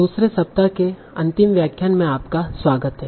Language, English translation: Hindi, So, welcome back for the final lecture for second week